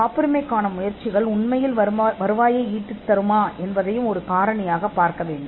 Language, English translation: Tamil, It should also be factored whether the patenting efforts could actually result in revenue